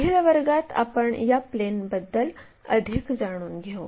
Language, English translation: Marathi, In the next class, we will learn more about these planes